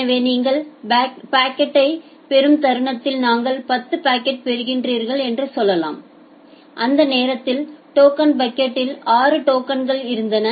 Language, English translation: Tamil, So, the moment you are getting a packet now you say at a instance of time you are getting 10 packets and during that time, you had some 6 tokens in the token bucket